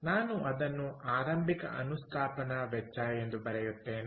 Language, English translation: Kannada, so i would write it as the initial installation cost